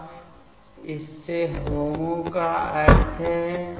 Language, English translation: Hindi, Now, its HOMO means